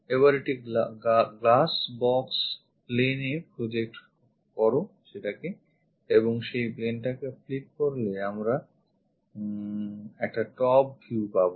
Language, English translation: Bengali, Now project that onto that glass box plane and flip that plane then we will have a top view